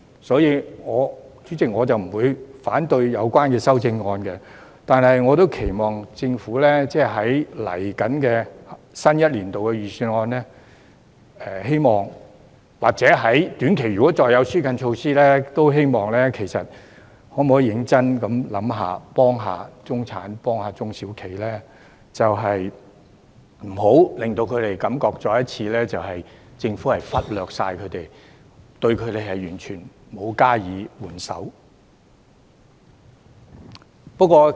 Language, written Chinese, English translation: Cantonese, 所以，主席，我不會反對有關修正案，但我亦期望政府會在接下來新一年的預算案中，或在短期如果會再推出紓困措施的話，認真想一想如何幫助中產和中小企，不要令他們再次感到政府忽略他們，對他們完全沒有施予援手。, Therefore Chairman while not opposing the amendments concerned I expect the Government to seriously consider how to help the middle class and SMEs in the forthcoming Budget for the next year or in the short term if further relief measures will be introduced and not make them feel ignored by the Government again in the total absence of any help for them